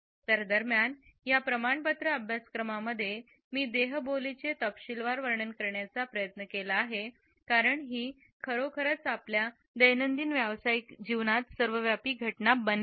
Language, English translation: Marathi, So, during this certification course I have attempted to delineate the nuance details of body language which indeed has become an omnipresent phenomenon in our daily professional life